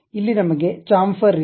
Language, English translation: Kannada, Here we have a Chamfer